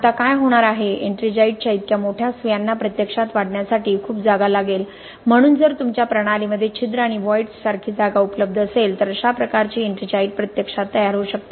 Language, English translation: Marathi, Now what is going to happen is such large needles of ettringite will need a lot of space to actually grow, so if there is space available in your system like pores and voids this kind of ettringite can actually start forming there, okay